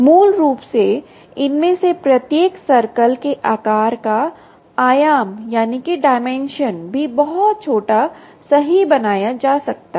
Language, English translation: Hindi, basically, the the dimension of the size of each of these circles can also be made very small